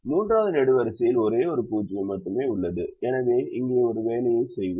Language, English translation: Tamil, the third column has only one zero, so we will make an assignment here to do that